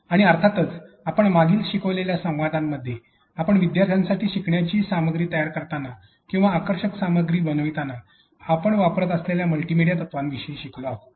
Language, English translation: Marathi, And of course, in the first and the previous learning dialogues we have learned about the divinity multimedia principles that we use when you are creating a learning content or engaging content for students